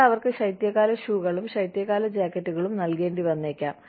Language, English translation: Malayalam, You may need to give them, winter shoes, winter jackets